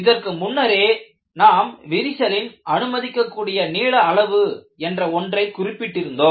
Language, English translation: Tamil, And we have already noted that, there is something called permissible crack length